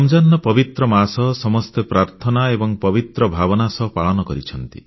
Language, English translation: Odia, The holy month of Ramzan is observed all across, in prayer with piety